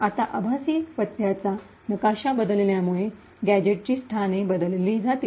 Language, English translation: Marathi, Now, since a virtual address map changes, the locations of the gadget would change